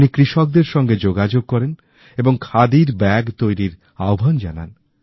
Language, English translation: Bengali, He contacted farmers and urged them to craft khadi bags